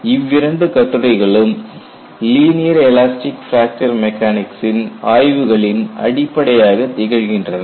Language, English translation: Tamil, These two papers were considered as fundamental ones for linear elastic fracture mechanics